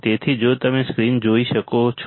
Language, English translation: Gujarati, So, if you can see the screen